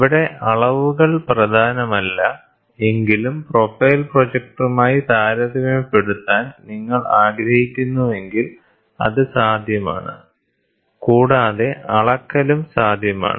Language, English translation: Malayalam, Measurements are not the predominant here, but still, if you want to do using this optical projector if you want to do profile projector you want to do a comparison it is possible and measurement is also possible